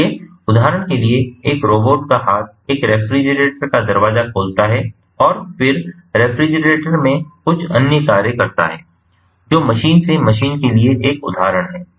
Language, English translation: Hindi, so, for example, a robotic arm opening the door of a of a refrigerator and then performing certain other tasks in the refrigerator, thats an example of machine to machine